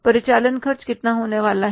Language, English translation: Hindi, This expenses are going to be how much